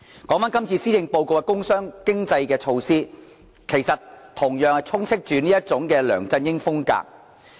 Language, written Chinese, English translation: Cantonese, 說回這次施政報告的工商經濟措施，其實同樣充斥着這種"梁振英風格"。, Regarding the measures about industry commerce and economy proposed in the Policy Address this LEUNG Chun - ying style can be seen over all the paragraphs as well